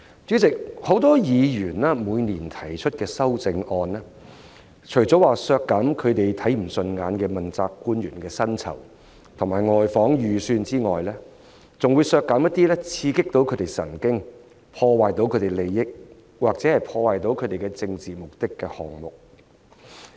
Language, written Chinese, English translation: Cantonese, 主席，很多議員每年提出的修正案，除了削減他們看不順眼的問責官員的薪酬及外訪預算開支外，還會削減一些刺激他們的神經、損害他們的利益或破壞他們的政治目的的項目。, Chairman in addition to proposing amendments every year to reduce the estimated expenditures on remuneration payments and duty visits of principal officials not to their liking some Members will also propose budget reductions on items that get on their nerves hurt their interests or sabotage their political objectives